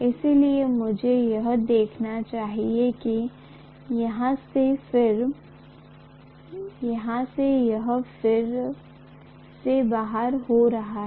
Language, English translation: Hindi, So I should show as though from here, this is again getting out ultimately